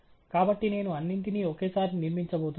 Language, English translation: Telugu, So, I am going to build all of them at once